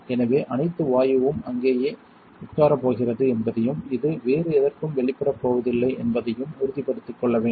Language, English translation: Tamil, So, you want to make sure all the gas is going to sit there and this is not going to get exposed to anything else